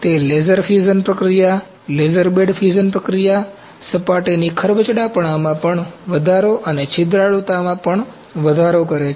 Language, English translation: Gujarati, That is more prominent in laser fusion process, laser bed fusion process increasing the surface roughness and also increasing porosity